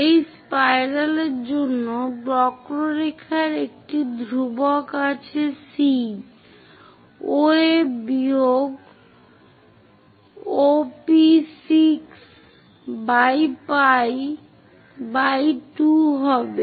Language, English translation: Bengali, For this spiral, there is a constant of the curve C is equal to OA minus OP6 by pi by 2 angle